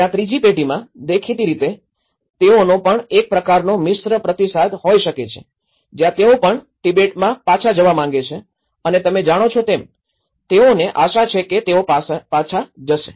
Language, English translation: Gujarati, Where in the third generation, obviously, they also have could have a kind of mixed response where they also want to go back to Tibet and you know, someday that they hope that they go back